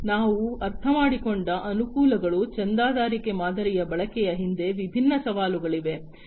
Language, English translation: Kannada, So, advantages we have understood, there are different challenges behind the use of the subscription model